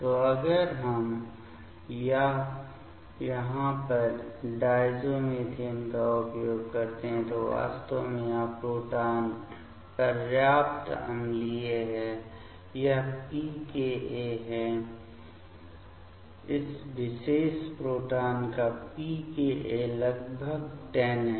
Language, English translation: Hindi, So, if we use diazomethane over here; then actually this proton is acidic enough it is pKa; is around pKa of this particular proton is around 10